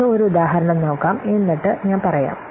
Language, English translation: Malayalam, Let's take an example and then I will say